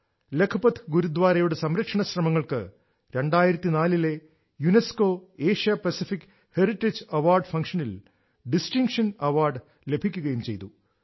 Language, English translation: Malayalam, The restoration efforts of Lakhpat Gurudwara were honored with the Award of Distinction by the UNESCO Asia Pacific Heritage Award in 2004